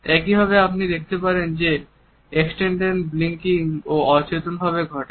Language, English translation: Bengali, Similarly, you would find that extended blinking also occurs in an unconscious manner